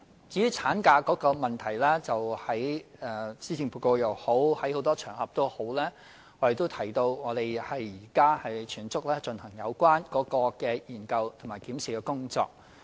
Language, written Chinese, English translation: Cantonese, 至於產假方面，在施政報告和多個場合，我們也提到當局現正全速進行有關的研究和檢視工作。, As for maternity leave we have mentioned in the Policy Address and on various occasions that we are pressing full steam ahead with the study and review on it